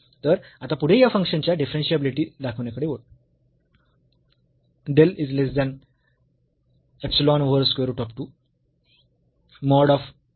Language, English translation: Marathi, So, moving next now to show the differentiability of this function